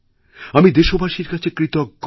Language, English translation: Bengali, I am very grateful to the countrymen